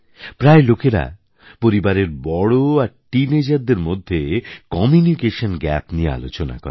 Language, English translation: Bengali, People generally talk of a communication gap between the elders and teenagers in the family